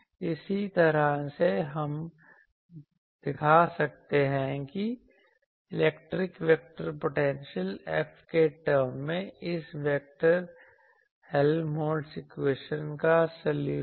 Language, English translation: Hindi, In a similar fashion, we can show that the solution of this vector Helmholtz equation in terms of electric vector potential F